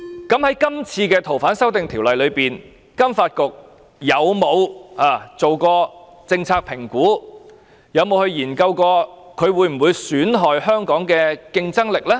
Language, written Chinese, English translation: Cantonese, 在這次修例的過程中，金發局有否做過政策評估，研究修例可能損害香港的競爭力呢？, In this legislative amendment process has FSDC conducted any policy assessment to see whether the legislative amendment will undermine the competitiveness of Hong Kong?